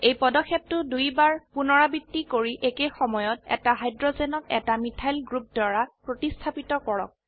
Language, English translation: Assamese, Repeat this step another 2 times and replace one hydrogen at a time with a methyl group